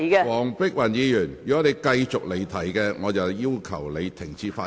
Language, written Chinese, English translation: Cantonese, 黃碧雲議員，如果你繼續離題，我會要求你停止發言。, Dr Helena WONG if you continue to digress I will ask you to stop speaking